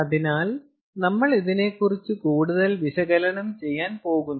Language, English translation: Malayalam, we are going to do further analysis on this